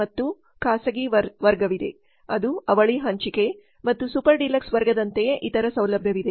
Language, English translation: Kannada, Then there is the private class which is twin sharing and other facilities same as the super deluxe class